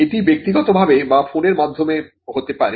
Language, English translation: Bengali, Now this could be in person or over phone